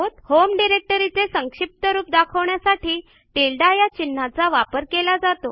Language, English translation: Marathi, The tilde(~) character is a shorthand for the home directory